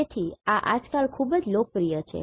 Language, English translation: Gujarati, So, these are very popular nowadays